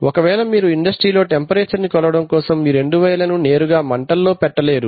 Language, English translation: Telugu, Now when you are trying to measure the temperature industrially you do not put those two pieces of wire directly into the fire